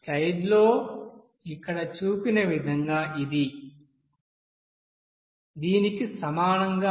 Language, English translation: Telugu, It will be equal to as shown here in the slide